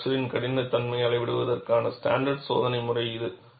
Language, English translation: Tamil, It is a standard test method for measurement of fracture toughness